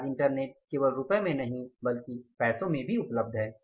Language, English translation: Hindi, Today internet is available for not even rupees but pesos